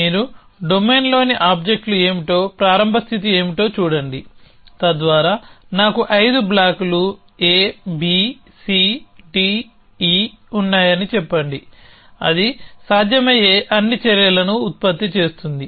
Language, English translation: Telugu, So, on you look at what the starting state is what the objects in the domain are, so that let say I have 5 blocks A, B, C, D, E, then it will produce all possible actions